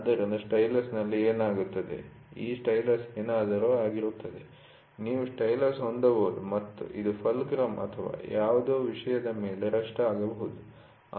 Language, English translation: Kannada, So, what happens in a stylus, this stylus will be something like, you can have a stylus and this can be resting on a something on a fulcrum or something